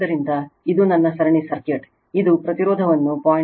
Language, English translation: Kannada, So, this is my series circuit, this is resistance is given 0